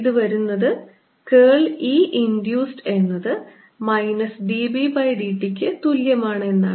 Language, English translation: Malayalam, this comes from: curl of e induced is equal to minus d b by d t